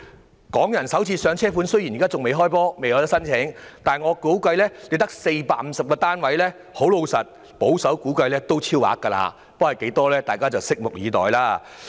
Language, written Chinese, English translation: Cantonese, 至於"港人首置上車盤"，雖然仍未開始接受申請，但由於只有450個單位，保守估計也一定會超額認購。, Although the Pilot Scheme has yet to receive applications the conservative assumption is that over - subscription will certainly arise given that only 450 flats are available for sale